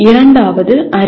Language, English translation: Tamil, The second one is knowledge